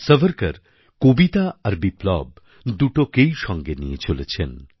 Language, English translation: Bengali, Savarkar marched alongwith both poetry and revolution